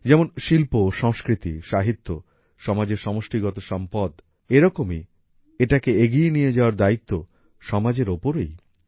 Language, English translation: Bengali, Just as art, literature and culture are the collective capital of the society, in the same way, it is the responsibility of the whole society to take them forward